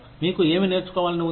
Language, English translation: Telugu, What do you want to learn